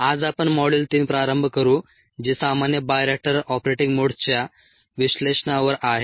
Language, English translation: Marathi, today we will a begin module three ah, which is on analysis of common bioreactor operating modes